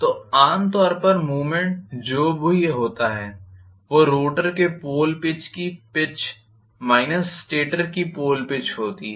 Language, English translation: Hindi, So, normally the movement is whatever is the pole pitch of the rotor minus the pole pitch of the stator